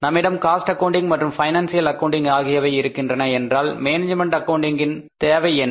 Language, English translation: Tamil, If we have the cost accounting and financial accounting, what is the need of management accounting